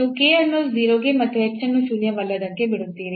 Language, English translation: Kannada, So, you are letting at k to 0 and the h non zero